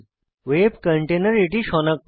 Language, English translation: Bengali, The web container automatically detects it